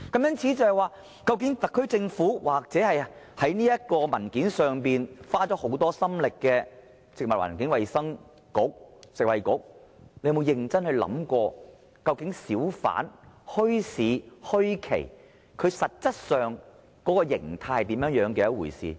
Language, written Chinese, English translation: Cantonese, 因此，特區政府或在文件上花了很多心力的食物及衞生局有否認真想過，究竟小販、墟市、墟期實質上的形態是甚麼一回事？, Has the SAR Government or the Food and Health Bureau which has made a lot of effort in preparing the document seriously considered the essence of hawkers bazaars and the bazaar period